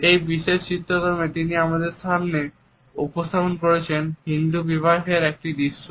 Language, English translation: Bengali, In this particular painting he has presented before us a scene at a Hindu wedding